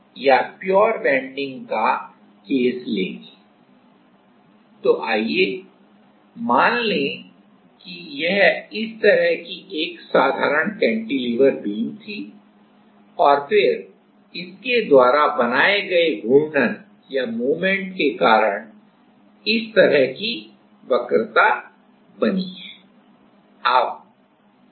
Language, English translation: Hindi, So, let us assume this was a simple cantilever beam like this and then, because of the moments it make, made this kind of curvature